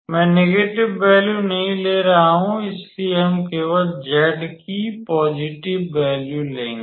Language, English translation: Hindi, I am not taking the negative value, so, let us take only the positive value of z, right